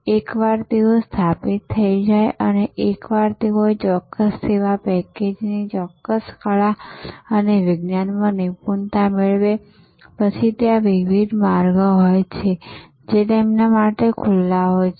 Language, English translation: Gujarati, Once they establish and once they master that particular art and science of that particular service package, then there are different trajectories that are open to them